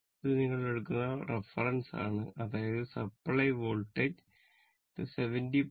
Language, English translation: Malayalam, This is your this is your reference you take that is your supply voltage it is 70